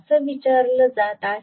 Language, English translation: Marathi, This is what is being asked